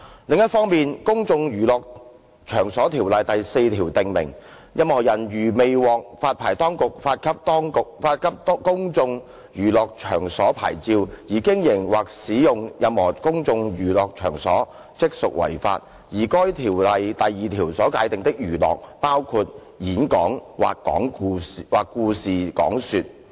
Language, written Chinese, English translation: Cantonese, 另一方面，《公眾娛樂場所條例》第4條訂明，任何人如未獲發牌當局發給公眾娛樂場所牌照而經營或使用任何公眾娛樂場所，即屬違法，而該條例第2條所界定的"娛樂"包括"演講或故事講說"。, On the other hand section 4 of the Places of Public Entertainment Ordinance PPEO provides that a person who keeps or uses a place of public entertainment without a Places of Public Entertainment Licence PPEL issued by the licensing authority commits an offence and the definition of entertainment under section 2 of PPEO includes lecture or story - telling